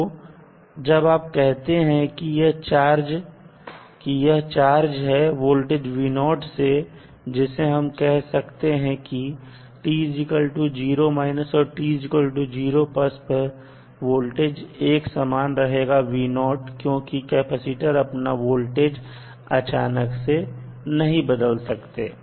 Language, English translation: Hindi, So, when you will say that it is charged with some voltage v naught we can say that at time t 0 minus or at time t 0 plus voltage will remain same as v naught because capacitor cannot change the voltage instantaneously